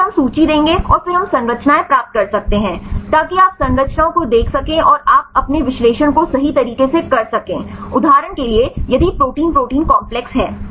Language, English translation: Hindi, So, then we will give the list right and then we can get the structures, that you can see the structures and you can carry out your analysis right; for example, if have protein protein complexes right